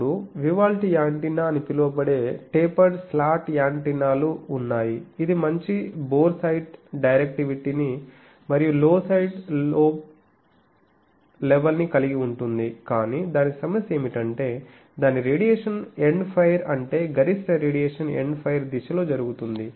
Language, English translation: Telugu, Then there are tapered slot antenna which is commonly called Vivaldi antenna it has good boresight directivity and low side lobe level, but its problem is its radiation is End fire that means, maximum radiation takes place in the End fire direction